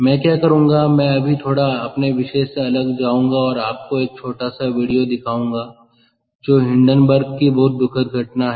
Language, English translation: Hindi, i will just deviate a little bit now and show you a small video, which is the very tragic incident of hindenburg